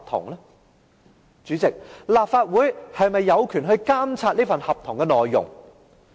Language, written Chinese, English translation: Cantonese, 代理主席，立法會又是否有權監察這份合同的內容？, Deputy President does the Legislative Council have the power to monitor the contents of the contract?